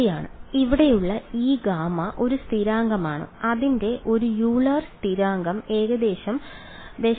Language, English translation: Malayalam, Right so, this gamma over here is a constant its a Euler constant some roughly 0